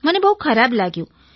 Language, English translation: Gujarati, I feel very bad